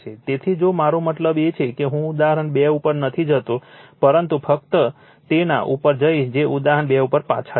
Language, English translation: Gujarati, So, if you I mean I am not going to the example 2, but we will just go to that go back to that example 2